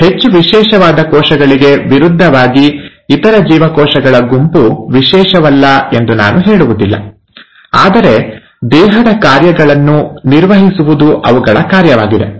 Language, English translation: Kannada, In contrast to these highly specialized cells, I won't say the other group of cells are not specialized, but then their function is to maintain the body parts